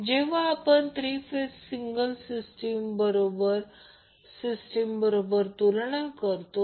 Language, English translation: Marathi, When we compare the material for single phase divided by material for 3 phase